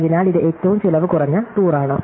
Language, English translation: Malayalam, So, this is the minimum cost tour